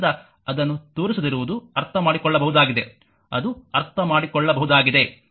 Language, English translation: Kannada, So, not showing it you it is understandable, right it is understandable